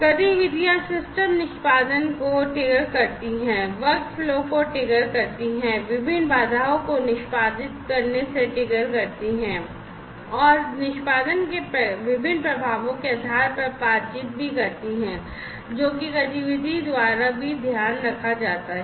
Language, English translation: Hindi, Activities trigger the system execution, trigger the workflow, trigger different constraints from being executed and also interact based on the different effects of execution the interactions that happen are also taken care of by the activity